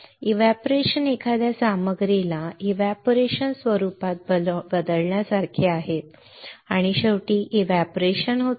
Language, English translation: Marathi, So, evaporation is similar to changing a material to it is vaporized form vaporized form and finally, evaporating